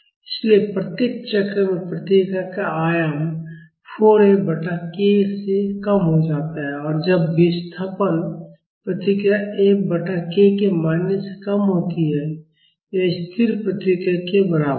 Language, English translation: Hindi, So, in each cycle the amplitude of the response reduces by 4 F by k and when the displacement response is less than the value of F by k; that is equivalent to a static response